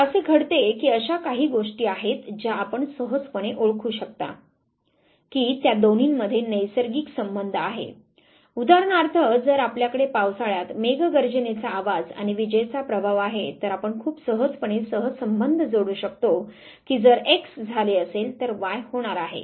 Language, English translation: Marathi, Now what happens there are few things which you can very easily identify that there is a natural connection between the two, say for instance if you have the thunder sound and the lighting effect during the rainy season you very easily correlate that if x has taken place y is bound to happen